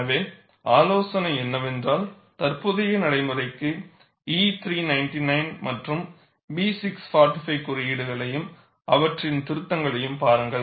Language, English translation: Tamil, So, the advice is, for current practice, look up codes E399 and B645 and their revisions